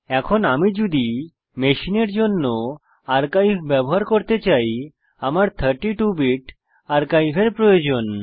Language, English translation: Bengali, Now if I want to use the archive, for my machine, I need 32 Bit archive